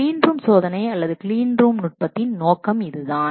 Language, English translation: Tamil, This is what is the objective of clean room testing or clean room technique